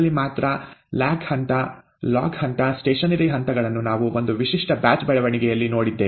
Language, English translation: Kannada, The lag phase, the log phase, the stationary phase is what we had seen in a typical batch growth